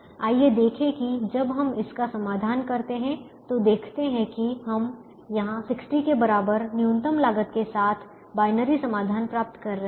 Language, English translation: Hindi, you realize that we are getting binary solutions here with minimum cost equal to sixty